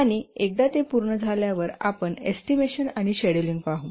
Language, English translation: Marathi, And once that has been done, we come to estimation and scheduling